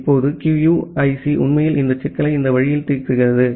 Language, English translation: Tamil, Now, QUIC actually solves this problem in this way